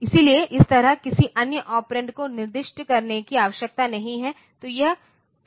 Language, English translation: Hindi, So, as such so, no other operand need to be specified